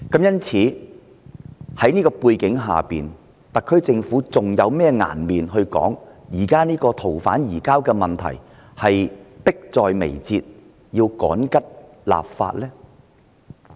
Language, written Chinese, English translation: Cantonese, 因此，在這樣的背景之下，特區政府還有甚麼顏面說，現時逃犯移交的問題迫在眉睫，要趕急修訂法例呢？, Given the background as such will the SAR Government not be ashamed to insist that the surrender of the fugitive offender is a pressing issue and the ordinances concerned should be urgently amended?